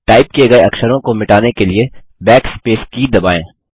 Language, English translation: Hindi, You press the backspace key to delete typed characters